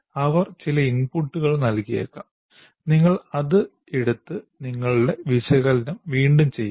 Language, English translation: Malayalam, And then if they may give some inputs, you make that and again redo, redo your analysis